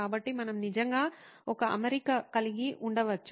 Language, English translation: Telugu, So we could actually have an arrangement